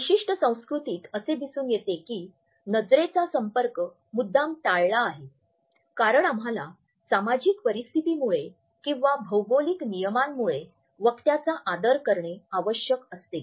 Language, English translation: Marathi, So, in certain cultures we find that the eye contact is deliberately avoided because we want to pay respect to the speaker because of the social situation or because of the convention of the land